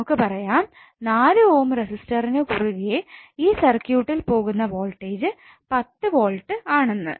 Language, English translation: Malayalam, When you have this particular circuit across the 4 Ohm resistance would be 10 volt